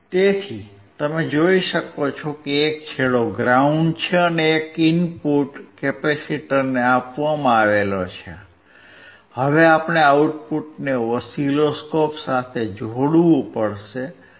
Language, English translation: Gujarati, So, you can see one is ground, and the input is given to the capacitor, now we have to connect the output to the oscilloscope